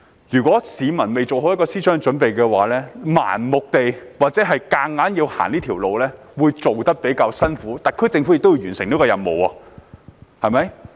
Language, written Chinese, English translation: Cantonese, 如果市民未有思想準備，盲目或強行走這條路會比較辛苦，但特區政府也要完成這項任務，對嗎？, In case members of the public are not mentally prepared it will be a difficult road if we walk blindly or forcefully but the SAR Government has to achieve this mission anyway right?